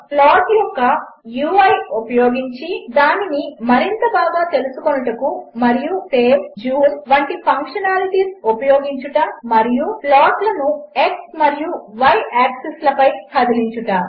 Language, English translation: Telugu, To Use the UI of plot for studying it better and using functionality like save,zoom and moving the plots on x and y axis